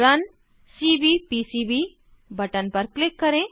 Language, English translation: Hindi, Click on the Run Cvpcb button